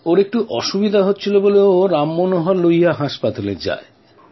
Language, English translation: Bengali, Feeling a health problem, He went to Ram Manohar Lohiya hospital